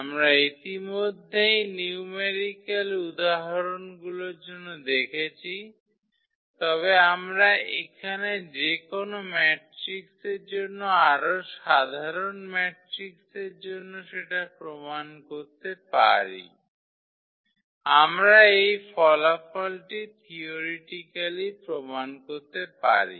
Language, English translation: Bengali, This observation we already have seen for numerical examples, but we can prove here for more general matrix for any matrix we can prove this result theoretically